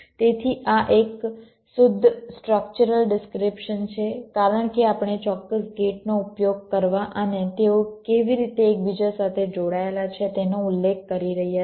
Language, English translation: Gujarati, so this is the pure structural description because we have specifying the exact gates to be used and how they are interconnected